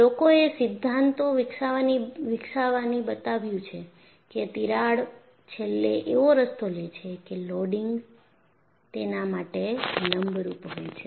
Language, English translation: Gujarati, People have developed theories and showed that crack will eventually take a path such that, the loading is perpendicular to that